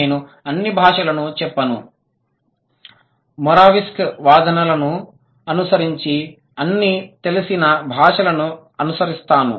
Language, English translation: Telugu, I wouldn't say all languages, rather I would say following Moravsic's claims, all known languages as of now